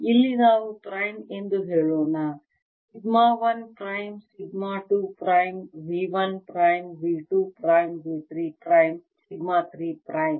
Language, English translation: Kannada, and now i get sigma two, let's say prime here, sigma o, sigma one, prime, sigma two, prime, hm v one, prime, v two, prime, v three, prime, sigma three, prime, sigma three, prime